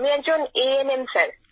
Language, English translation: Bengali, I am an ANM Sir